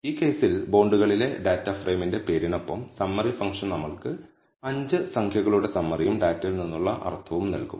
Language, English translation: Malayalam, So, the summary function followed by the name of the data frame in this case bonds will give us 5 number summary and mean from the data